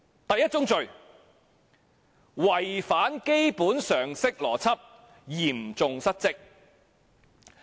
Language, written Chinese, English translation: Cantonese, 第一宗罪：違反基本常識邏輯，嚴重失職。, The first crime contravention of basic logic and common sense and serious dereliction of duty